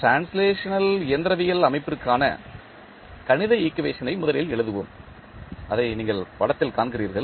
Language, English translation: Tamil, So, let us first write the mathematical equation for the translational mechanical system, which you are seeing in the figure